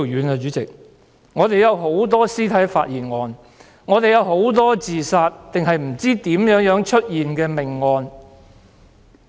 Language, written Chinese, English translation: Cantonese, 香港有很多屍體發現案、自殺案和不知如何出現的命案。, There are many dead body found cases suicides and homicides with unknown causes in Hong Kong